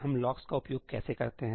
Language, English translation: Hindi, How do we use locks